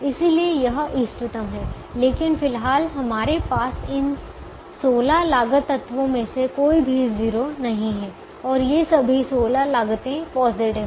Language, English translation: Hindi, but at the moment we don't have any cost, any of these sixteen cost elements as zero, and all these sixteen costs are positive